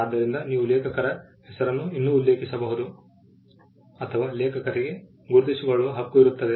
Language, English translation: Kannada, So, you can the authors name can still be mentioned as, or the author should has a right to be recognized